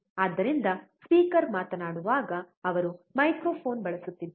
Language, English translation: Kannada, So when a speaker is speaking, he is using microphone